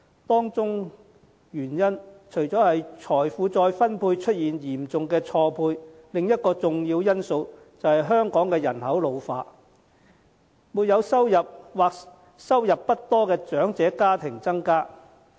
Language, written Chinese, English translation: Cantonese, 當中原因除了在財富再分配方面出現嚴重錯配外，另一個重要因素是香港人口老化，沒有收入或收入不多的長者家庭數目增加。, As regards the reasons for it in addition to a serious mismatch in terms of wealth redistribution another key factor is an ageing population in Hong Kong with a rise in the number of elderly households with no or little income